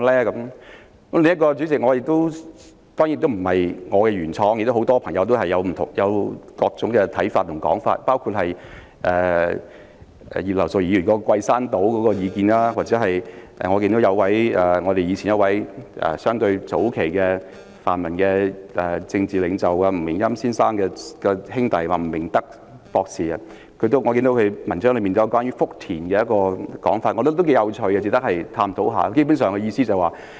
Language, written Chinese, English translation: Cantonese, 主席，另一項建議當然不是我原創的，而很多朋友都提出各種不同的看法和說法，包括葉劉淑儀議員提出桂山島的建議，或者早期的泛民政治領袖吳明欽先生的兄弟吳明德博士，在他的文章中提出關於福田的說法，我覺得頗為有趣，值得探討。, President there are other suggestions which are certainly not my own ideas . Many people have put forward different views and proposals including Mrs Regina IPs Guishan Island proposal or the proposal of Dr Victor NG brother of Mr NG Ming - yam who was a political leader of the democrats in the early days . Dr NG put forward a suggestion about Futian which I think is quite interesting and worth discussing